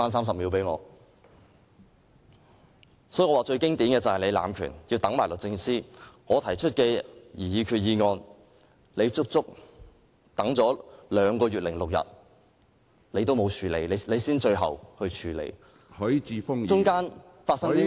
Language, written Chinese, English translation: Cantonese, 所以，我說最經典的便是你濫權，要"等埋律政司"，把我提出的擬議決議案擱下整整兩個月零6天才處理，其間究竟發生了甚麼事？, Hence I think the most classic example is that you have abused your power to wait for DoJ by putting aside my proposed resolution and not dealing with it until two months and six days later . Actually what have happened during this period of time?